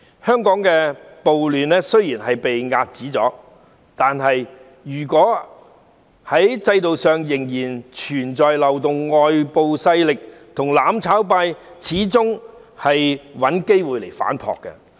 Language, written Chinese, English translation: Cantonese, 香港暴亂雖然被遏止，但如果制度上仍然存在漏洞，外部勢力和"攬炒派"始終會找機會反撲。, Although the riots in Hong Kong have been curbed if there are still loopholes in the system external forces and the mutual destruction camp will still find opportunities to launch counter - attacks